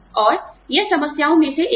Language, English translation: Hindi, And, this is one of the problems